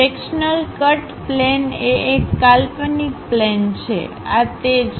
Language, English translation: Gujarati, The sectional cut plane is an imaginary plane, this is the one